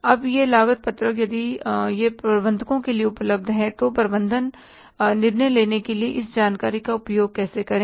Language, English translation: Hindi, Now this cost sheet, if it is available to the management, how to use this information for the management decision making